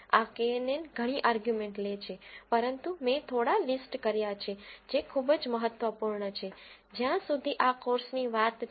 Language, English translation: Gujarati, This knn function takes several arguments but I have listed few which are very important as far as this course is concerned